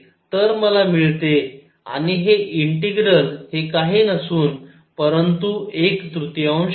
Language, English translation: Marathi, So, I get and this integral this integral is nothing, but one third